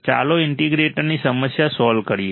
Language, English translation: Gujarati, Let us solve a problem for the integrator